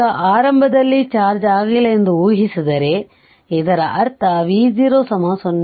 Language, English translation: Kannada, Now, if it is assuming that initially uncharged, that means V 0 is equal to 0